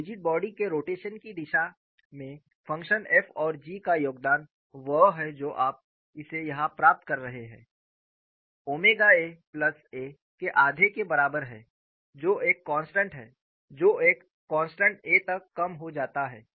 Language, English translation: Hindi, So, the contribution of function f and g towards rigid body rotation is what you are getting it here, omega equal to one half of A plus A which reduces to a constant A